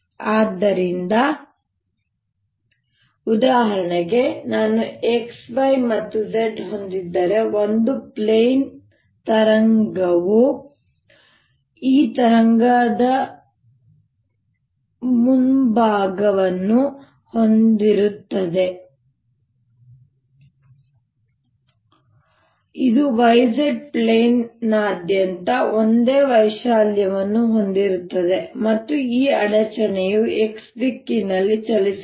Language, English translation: Kannada, so for example, if i have x, y and z, a plane wave would have this wave front which has the same amplitude all over by the plane, and this, this disturbance, travels in the y direction